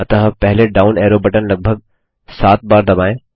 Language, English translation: Hindi, So first let us press the down arrow key about seven times